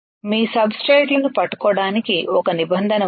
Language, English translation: Telugu, There is a provision for holding your substrates